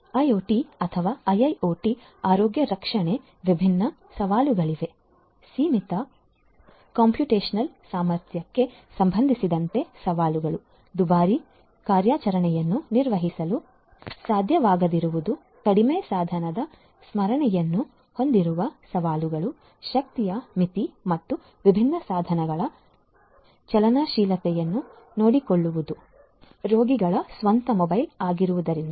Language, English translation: Kannada, IoT or IIoT healthcare as different challenges; challenges with respect to limited computational capability, not being able to perform expensive operations, challenges with respect to having very less device memory, energy limitation and also taking care of the mobility of these different devices because the patients themselves are mobile